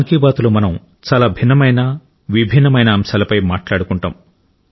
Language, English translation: Telugu, in Mann Ki Baat, we refer to a wide range of issues and topics